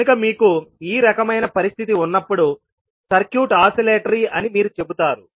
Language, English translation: Telugu, So when you have this kind of situation then you will say that the circuit is oscillatory